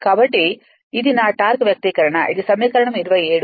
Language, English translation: Telugu, So, this is my torque expression this is equation 27 right